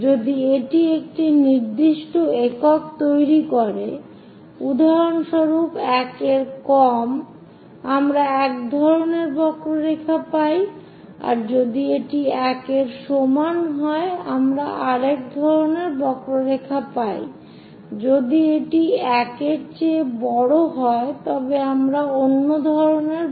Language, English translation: Bengali, If it makes one particular unit, for example, less than 1 we get one kind of curve, if it is equal to 1, we get one kind of curve, if it is greater than 1 we get another kind of curve